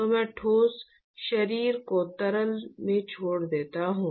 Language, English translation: Hindi, So, I drop the solid body into the liquid